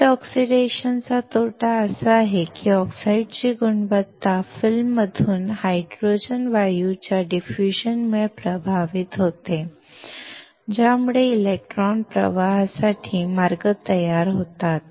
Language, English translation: Marathi, The disadvantage of wet oxidation is that the quality of the oxide suffers due to diffusion of the hydrogen gas out of the film which creates paths for electron flow